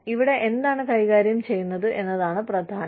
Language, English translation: Malayalam, What is important here is, what is being dealt with here